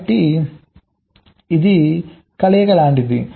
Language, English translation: Telugu, ok, so it is like a combination